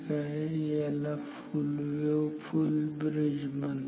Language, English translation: Marathi, So, this is called full wave full bridge